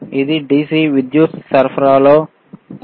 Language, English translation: Telugu, Is it in DC power supply